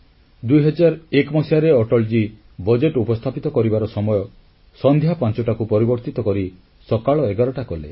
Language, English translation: Odia, In the year 2001, Atalji changed the time of presenting the budget from 5 pm to 11 am